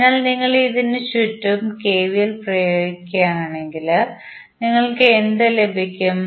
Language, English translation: Malayalam, So, if you apply KVL around this, what you get